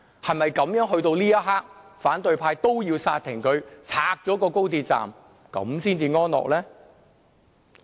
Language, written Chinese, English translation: Cantonese, 是否到了這一刻，反對派也要煞停、拆掉高鐵才開心呢？, At this moment in time will the opposition camp only feel pleased when the project is suspended and XRL dismantled?